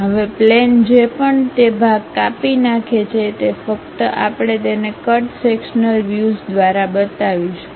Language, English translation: Gujarati, Now, the plane whatever it cuts that part only we will show it by cut sectional view